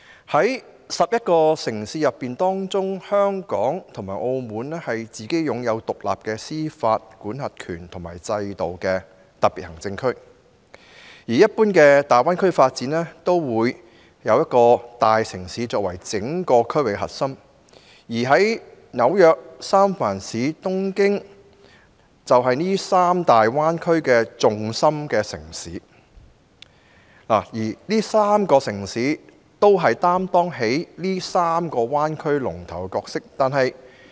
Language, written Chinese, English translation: Cantonese, 在區內11個城市之中，香港和澳門是擁有獨立司法管轄權及制度的特別行政區，而一般大灣區的發展，則會以一個大城市作為整個區域的核心，例如紐約、三藩市及東京，就是三個大灣區的重心城市，這3個城市分別擔當3個灣區的龍頭角色。, Among the 11 cities in the Greater Bay Area Hong Kong and Macao are the Special Administrative Regions conferred with independent jurisdiction and have their own systems . Generally speaking the development of a bay area evolves round a large city which is the core of the entire area . For example New York San Francisco and Tokyo each serves as the core city of the respective bay areas